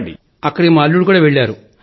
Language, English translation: Telugu, Our son in law too had gone there